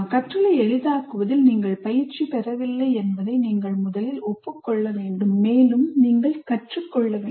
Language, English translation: Tamil, That first thing you should acknowledge to yourself that I'm not trained in facilitating learning and I need to learn